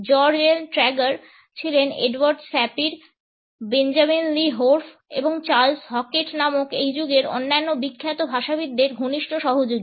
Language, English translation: Bengali, George L Trager was a close associate of Edward Sapir, Benjamin Lee Whorf and Charles Hockett other famous linguist of this era